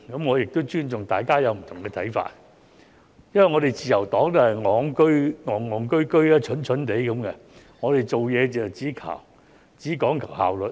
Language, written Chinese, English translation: Cantonese, 我亦尊重大家有不同看法，因為自由黨也是"戇戇居居"、"蠢蠢地"，我們做事只講求效率。, I respect the fact that Members have different views . As the Liberal Party is stupid and dumb efficiency is our only concern when we are doing our job